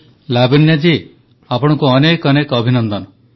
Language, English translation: Odia, Lavanya ji many congratulations to you